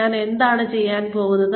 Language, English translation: Malayalam, What am I going to do